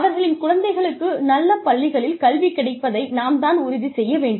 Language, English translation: Tamil, We will also ensure that, good schools are available for their children